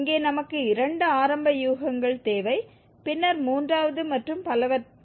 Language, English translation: Tamil, Here we need two initial guesses and then we can compute the third and so on